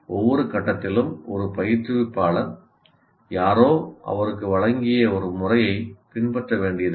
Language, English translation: Tamil, And at every stage an instructor doesn't have to follow a method that is given to him by someone